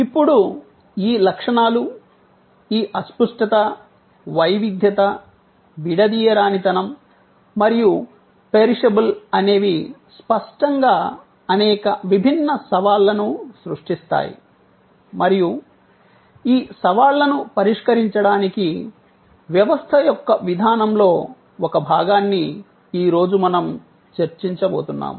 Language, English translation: Telugu, Now, these characteristics, this intangibility, heterogeneity, inseparability and perishability, obviously creates many different challenges and we are going to discuss today one part of a system's approach to address these challenges